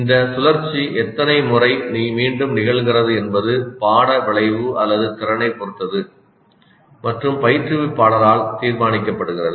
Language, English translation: Tamil, The number of times this cycle is repeated is totally dependent on the course outcome or the competency and is decided by the instructor